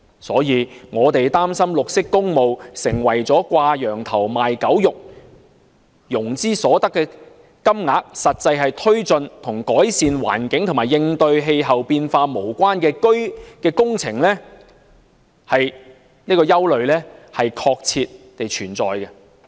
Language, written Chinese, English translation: Cantonese, 所以，我們擔心綠色工務變成掛羊頭賣狗肉，融資所得的金額實際用於推進與改善環境和應對氣候變化無關的工程，這種憂慮確切地存在。, For this reason we are worried that green public works will be no different from a pig sold in a poke and the sums raised by financing will actually be used for taking forward projects not for the purpose of improving the environment and combating climate change . Such concerns do exist